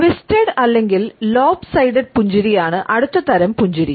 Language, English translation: Malayalam, The next type of a smile is the twisted or the lop sided smile